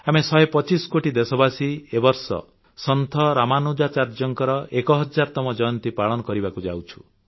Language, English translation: Odia, This year, we the hundred & twenty five crore countrymen are celebrating the thousandth birth anniversary of Saint Ramanujacharya